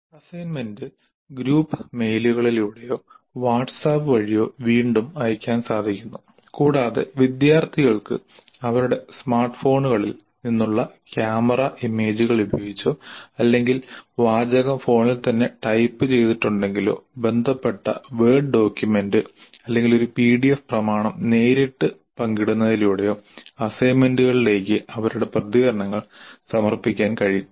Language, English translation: Malayalam, The assignment is communicated through group mails or through WhatsApp again and the students can submit their responses to the assignments using either camera images from their smartphones or if it's a text that is typed in the phone itself directly by sharing the relevant word document or a PDF document